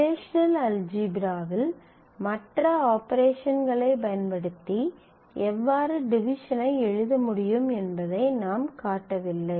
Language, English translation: Tamil, Division we just showed as a derived operation, we have not showed how in relational algebra you can write division using the other operations